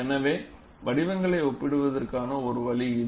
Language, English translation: Tamil, So, that is one way of comparing the shapes